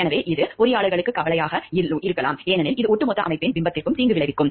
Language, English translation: Tamil, So, that which are becoming of concern for the engineers, because it may potentially harm the image of the organization as a whole